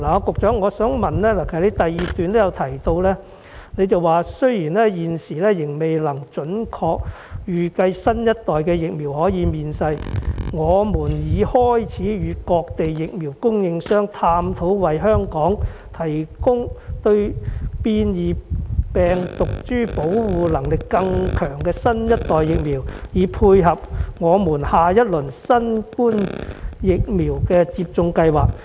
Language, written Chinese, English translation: Cantonese, 局長在主體答覆第二部分提到"雖然現時仍未能準確預計新一代疫苗何時面世，我們已開始與各地疫苗供應商探討為香港提供對變異病毒株保護力更強的新一代疫苗，以配合我們下一輪新冠疫苗的接種計劃。, In part b of the main reply the Secretary mentioned Although we cannot predict with certainty when the next generation vaccines will be available we have started to discuss with vaccine manufacturers from various places to provide Hong Kong with the next generation vaccines with stronger protection powers against mutant virus strains with a view to supporting our next phase of the COVID - 19 vaccination programme